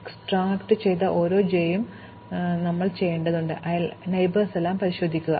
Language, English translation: Malayalam, And for each j that is extracted, we need to examine all its neighbors